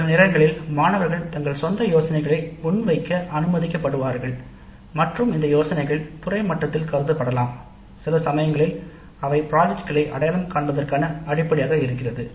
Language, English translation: Tamil, Sometimes students are allowed to present their own ideas and these ideas can be considered at the department level and sometimes they will form the basis for identifying the projects